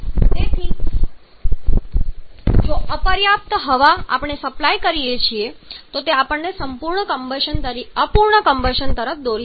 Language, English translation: Gujarati, So, if insufficient air we are supplying then that will lead to incomplete combustion